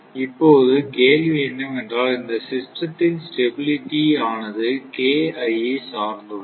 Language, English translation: Tamil, Now, question is that, this stability of the system depends on KI